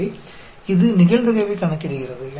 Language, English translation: Tamil, So, this calculates the probability